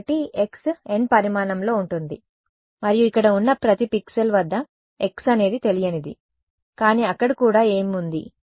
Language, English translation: Telugu, So, x is going to be of size n and at each pixel over here, x is the unknown, but what is also there